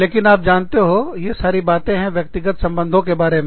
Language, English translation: Hindi, But, you know, this is what, personal relationships are all about